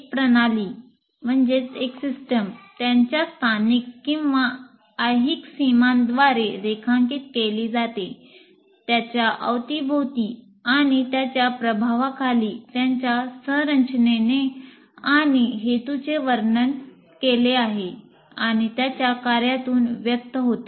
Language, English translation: Marathi, And a system is delineated by its spatial and temporal boundaries, surrounded and influenced by its environment, described by its structure and purpose and expressed in its functioning